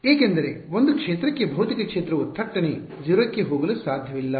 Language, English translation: Kannada, Because, for a field a field a physical field cannot abruptly go to 0